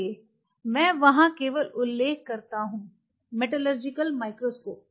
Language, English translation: Hindi, But again, I am just meaning their metallurgical microscope